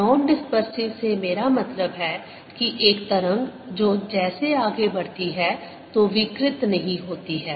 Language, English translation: Hindi, by non dispersive i mean a wave that does not distort as it moves